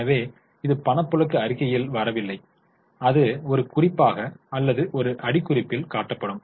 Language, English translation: Tamil, So, it is not coming in the cash flow statement, it will be shown as a note or as a footnote